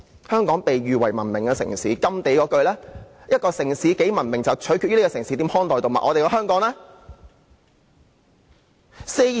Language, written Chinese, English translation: Cantonese, 香港被譽為文明的城市，而甘地的名言是一個城市有多文明，就取決於這城市如何看待動物。, Hong Kong is often called a civilized city and GHANDI once remarked that how a city treats its animals can show how civilized it is